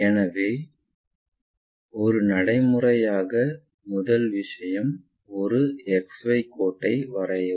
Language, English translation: Tamil, So, the first thing as a practice draw a XY line